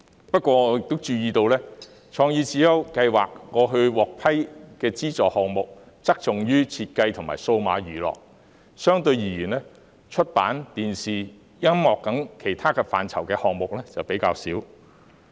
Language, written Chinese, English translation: Cantonese, 不過，我亦注意到，創意智優計劃過去獲批的資助項目側重於設計和數碼娛樂；相對而言，出版、電視和音樂等其他範疇的項目則比較少。, Nonetheless I also notice that CSI - funded projects in the past have focused on design and digital entertainment while projects in other areas such as publishing television and music are relatively fewer in number